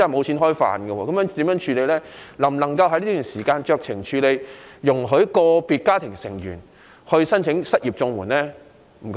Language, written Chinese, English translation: Cantonese, 社署能否在這段時間酌情處理，容許以個人為單位申請失業綜援？, Can SWD exercise its discretion during this period to allow those unemployed to apply for CSSA on an individual basis?